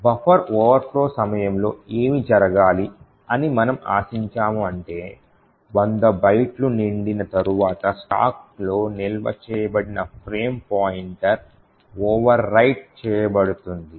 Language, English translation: Telugu, What we expect should happen during the buffer overflow is that after this 100 bytes gets filled the frame pointer which is stored in the stack will get overwritten